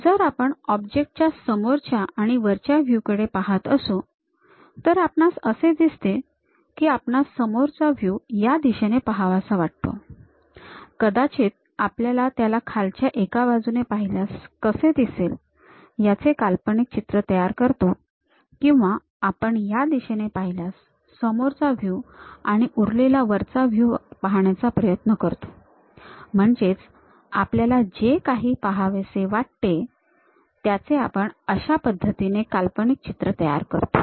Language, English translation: Marathi, So, if we are looking at front view of the object and top view of the object, we can clearly see that; we would like to view front view in this direction, perhaps we would like to visualize from bottom side one way or we would like to view from this direction as a front view, and the remaining top view whatever we would like to really visualize that we might be showing it in that way